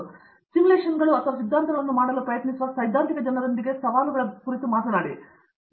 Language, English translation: Kannada, So, let’s talk about the challenges with the theoretical people who try to do simulations or theory